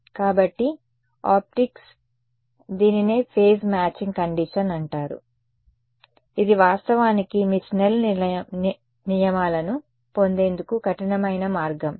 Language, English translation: Telugu, So, that is what is called in optics the phase matching condition, this is actually the rigorous way of deriving yours Snell’s laws ok